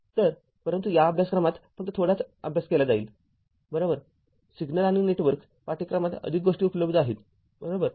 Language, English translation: Marathi, So, but in this course we will study little bit only right, more things are available in a course like your signals and networks, right